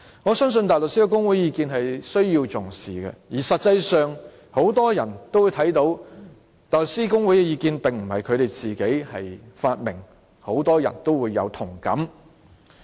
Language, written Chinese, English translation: Cantonese, 我相信大律師公會的意見是需要重視的，而實際上很多人也會看到，大律師公會的意見並不是他們自己發明的，很多人亦有同感。, I believe the views of HKBA should be given weight and in fact as many people have noticed the opinions given by HKBA are not invented by it since many people held the same views